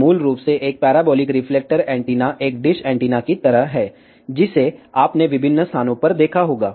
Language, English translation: Hindi, So, basically a parabolic reflector antenna is something like a dish antenna, you might have seen at various places